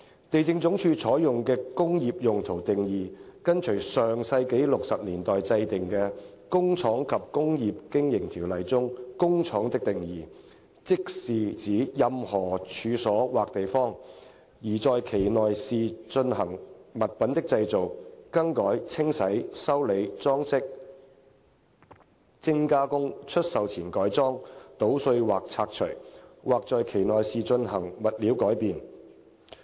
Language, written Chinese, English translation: Cantonese, 地政總署採用的"工業用途"定義跟隨上世紀60年代制定的《工廠及工業經營條例》中"工廠"的定義，即是指任何處所或地方，而在其內是進行物品的製造、更改、清洗、修理、裝飾、精加工、出售前改裝、搗碎或拆除，或在其內是進行物料改變。, The definition of industrial use adopted by LandsD follows the definition of factory under the Factories and Industrial Undertakings Ordinance enacted in the sixties of the last century which refers to any premises or place in which articles are manufactured altered cleansed repaired ornamented finished adapted for sale broken up or demolished or in which materials are transformed